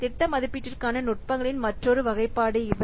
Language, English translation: Tamil, So these are another classifications of techniques for project estimation